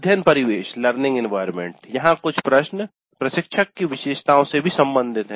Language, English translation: Hindi, Then learning environment, some of the questions here are also related to instructor characteristics